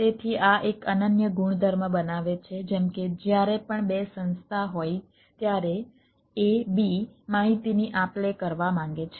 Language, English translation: Gujarati, so this this makes a unique property, like whenever there is a, two organization, a, b, one to exchange information